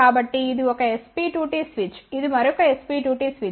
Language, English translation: Telugu, So, this is the 1 S P 2 T switch, this is the another S P 2 T switch